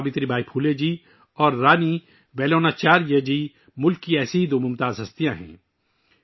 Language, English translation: Urdu, Savitribai Phule ji and Rani Velu Nachiyar ji are two such luminaries of the country